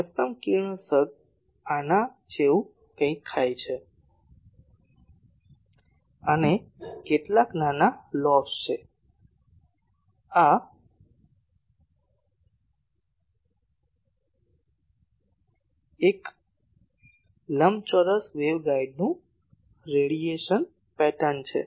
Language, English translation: Gujarati, The maximum radiation takes place something like this and there are some small lobes, this is the radiation pattern of a rectangular waveguide